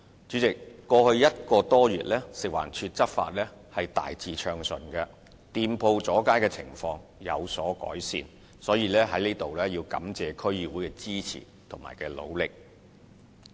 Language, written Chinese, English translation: Cantonese, 主席，在過去1個多月，食環署的執法大致暢順，店鋪阻街的情況有所改善，所以我在此感謝區議會的支持和努力。, President over the past month or so the enforcement actions of FEHD have been largely smooth with improvement in the situation of shop front extensions . Therefore I hereby express my gratitude to DCs for their support and effort